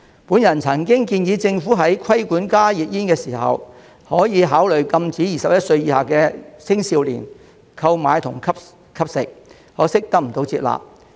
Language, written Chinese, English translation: Cantonese, 我曾經建議政府在規管加熱煙時，可考慮禁止21歲以下青少年購買和吸食，可惜不獲接納。, I have suggested before that the Government in regulating HTPs can consider prohibiting young people under 21 from buying and smoking them but regrettably my proposal was not accepted